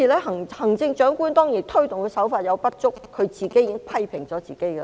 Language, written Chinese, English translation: Cantonese, 行政長官推動的手法有所不足，她已自我批評。, The Chief Executives approach is inadequate and she has criticized herself